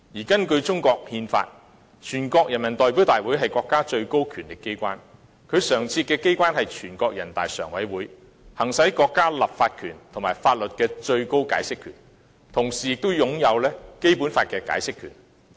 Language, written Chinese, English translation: Cantonese, 根據中國憲法，全國人民代表大會是國家的最高權力機關，其常設機關是人大常委會，行使國家立法權和法律的最高解釋權，同時也擁有《基本法》的解釋權。, According to the Constitution of China the National Peoples Congress is the highest organ of state power and its permanent body is NPCSC . NPCSC exercises the highest power of interpretation of the countrys legislative power and laws and also has the power to interpret the Basic Law